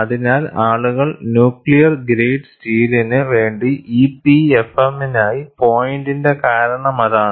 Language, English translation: Malayalam, So, that is the reason why people went for EPFM for nuclear grade steel